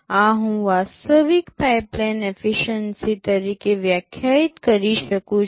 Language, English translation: Gujarati, This I can define as the actual pipeline efficiency